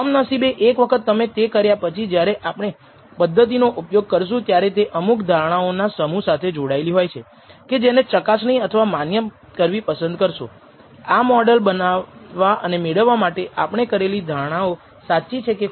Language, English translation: Gujarati, Once you have actually done that unfortunately when we use a method it comes with a bunch of assumptions associated you would like to validate or verify, whether the assumptions we have made, in deriving this model are correct or perhaps they are wrong